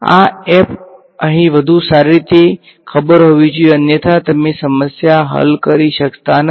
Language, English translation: Gujarati, This f over here had better be known otherwise you cannot solve the problem